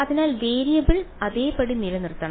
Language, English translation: Malayalam, So, the variable has to be held the same